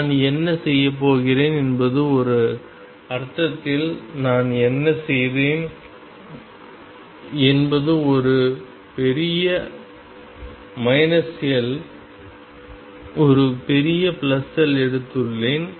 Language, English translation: Tamil, What I am going to do is in a sense what I have done is I have taken a large minus L, a large plus L